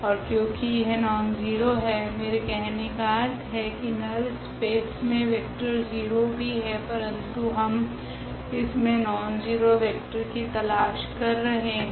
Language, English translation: Hindi, And, since it is a nonzero I mean the null space also has a now has a 0 vector, but we are looking for the nonzero vector in the null space of this